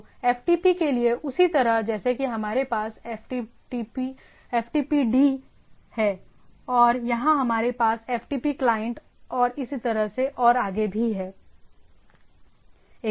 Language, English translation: Hindi, So, for the same like for FTP what we have FTPD and here we have FTP client and so and so forth